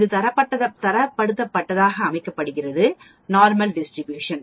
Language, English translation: Tamil, This is called a Standardized Normal Distribution